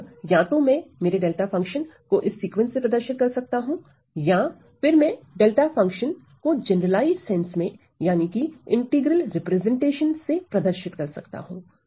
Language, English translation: Hindi, So, either I can represent my delta function as this sequence or I can represent my delta function in the generalized sense that is in terms of that integral representation ok